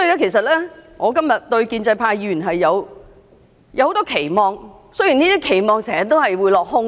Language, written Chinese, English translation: Cantonese, 其實，我今天對於建制派議員是有很多期望的，雖然這些期望經常會落空。, Actually today I have great expectations of pro - establishment Members though these expectations often fall flat